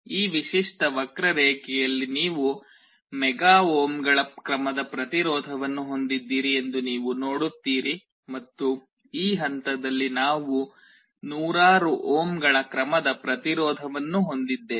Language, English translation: Kannada, You see in this typical curve here we have a resistance of the order of mega ohms, and on this point we have a resistance of the order of hundreds of ohms